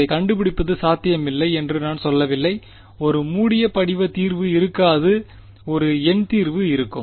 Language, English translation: Tamil, I am not saying its not possible to find it there will not be a closed form solution there will be a numerical solution ok